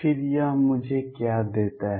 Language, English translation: Hindi, Then what does it give me